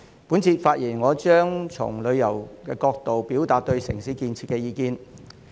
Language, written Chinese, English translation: Cantonese, 我這次發言將從旅遊業角度表達對城市建設的意見。, In this speech I will express my views on urban development from the perspective of the tourism industry